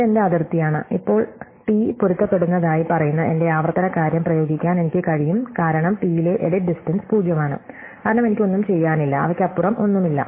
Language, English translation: Malayalam, So, this is my boundary and now I can just apply my recursive thing which says that t matches, for edit distance at t is zero, because I have nothing to do and there is nothing to beyond them